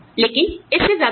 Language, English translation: Hindi, But, not more than that